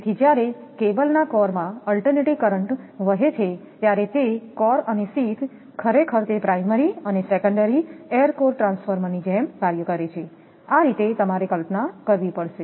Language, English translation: Gujarati, So, when alternating current flows in the core of a cable, the core and sheath actually it acts like your primary and secondary of an air core transformer, this way you have to imagine